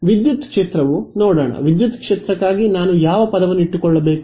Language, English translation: Kannada, Electric field let us see what happens electric field which term should I keep